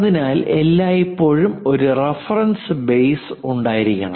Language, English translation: Malayalam, So, that there always be a reference base